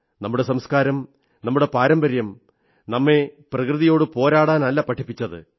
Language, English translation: Malayalam, Our culture, our traditions have never taught us to be at loggerheads with nature